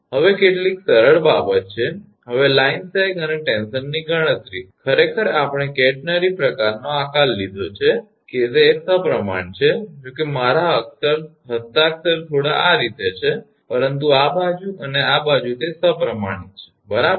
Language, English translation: Gujarati, Now, these are some simple thing, now calculation of line sag and tension, actually we have taken a catenary shape these are symmetrical although my handwriting is slightly this way, but this side and this side it is symmetrical right